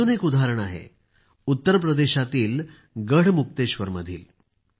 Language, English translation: Marathi, There is one more example from Garhmukteshwar in UP